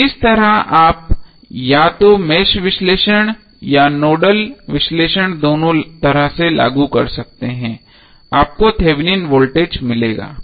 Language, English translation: Hindi, So in that way either you apply Mesh analysis or the Nodal analysis in both way you will get the Thevenin voltage same